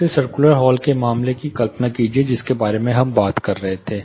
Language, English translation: Hindi, Imagine the case of the circular hall which we were talking about